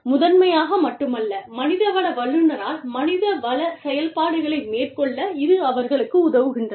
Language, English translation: Tamil, A primarily, not only but primarily, by the HR professional, the HR functions, help you do it